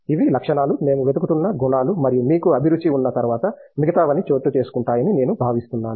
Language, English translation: Telugu, These are qualities, attributes which we look for and once you have the passion I think everything else falls in place